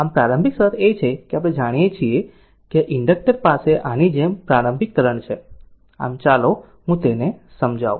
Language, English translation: Gujarati, So, this is the initial condition we assume that inductor has an initial current like this , so let me clear it